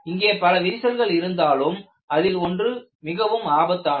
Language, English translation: Tamil, And you can have multiple cracks, one of them may be more dangerous